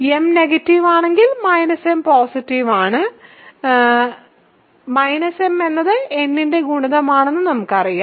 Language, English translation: Malayalam, If m is negative minus m is positive we know that minus m is a multiple of n